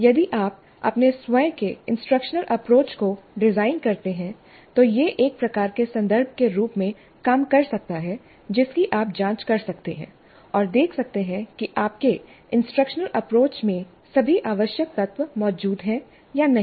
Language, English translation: Hindi, In case you design your own instructional approach, this can serve as a kind of a reference against which you can cross check and see whether the required components are all present in your instructional approach